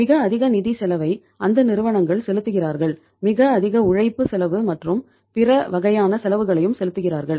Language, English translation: Tamil, Those companies who are paying very heavy financial cost they are say uh paying a very heavy labour cost and other kind of the cost also